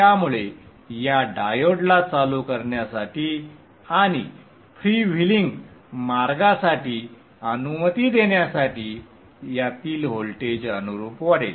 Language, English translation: Marathi, So the voltage of this will rise correspondingly to turn on this diode and allow for the freewheeling path